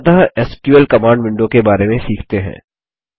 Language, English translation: Hindi, Finally, let us learn about the SQL command window